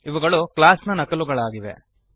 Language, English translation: Kannada, They are the copy of a class